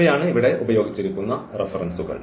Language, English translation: Malayalam, So, these are the reference used here